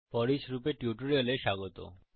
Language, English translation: Bengali, Welcome to the FOREACH loop tutorial